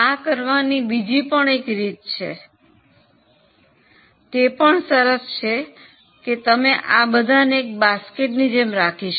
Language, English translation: Gujarati, There is also another way of doing it which is also equally interesting, you can treat all these as a particular basket